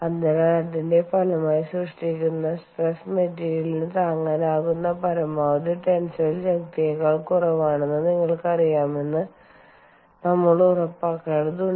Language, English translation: Malayalam, so, as a result of that, we need to ensure that some we we need to ensure that, you know the the stress that is generated is less than the maximum tensile strength that the material can withstand